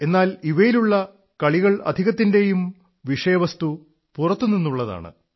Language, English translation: Malayalam, But even in these games, their themes are mostly extraneous